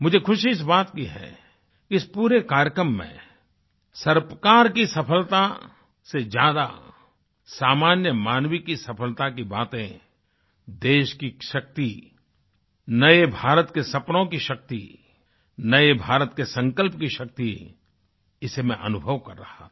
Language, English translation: Hindi, I am glad that in this entire programme I witnessed the accomplishments of the common man more than the achievements of the government, of the country's power, the power of New India's dreams, the power of the resolve of the new India this is what I experienced